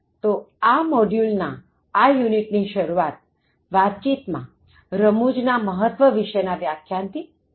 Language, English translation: Gujarati, So, in this unit, in this module, that begins with the lecture on the Significance of Humour